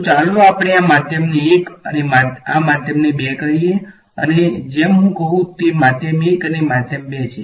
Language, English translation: Gujarati, So, let us call this medium 1 and medium 2 and as I say medium 1 and medium 2 so medium